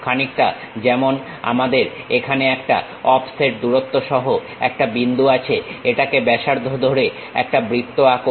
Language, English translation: Bengali, Something like, we have a point here with an offset distance as radius draw a circle